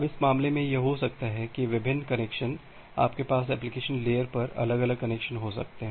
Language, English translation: Hindi, Now, in this case it may happen that different connections, you may have different connections at the application layer